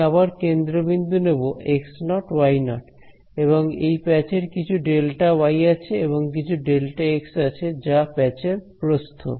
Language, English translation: Bengali, Center point again, I am going to take x naught y naught and this patch has some delta y and some delta x is the width of this patch